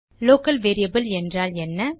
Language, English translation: Tamil, What is a Local variable